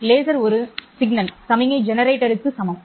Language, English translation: Tamil, Laser is equivalent of a signal generator, right